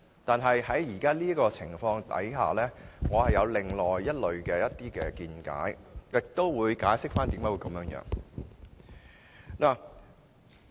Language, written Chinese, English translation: Cantonese, 但在現時的情況下，我有另外的見解，以下我也會解釋箇中原因。, Under the present circumstances however I have a different view and I will now explain the reasons